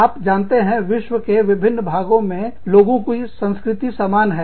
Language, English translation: Hindi, You know, people having similar cultures, in different parts of the world